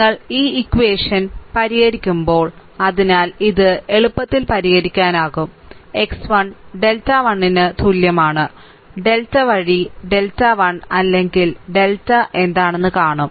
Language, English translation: Malayalam, So, it can be easily solved x 1 is equal to delta, 1 by delta will see what is delta 1 or delta x 2 is equal to delta 2 by delta and x n up to the delta n by delta